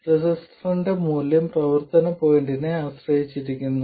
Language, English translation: Malayalam, And the value of the register depends on the operating point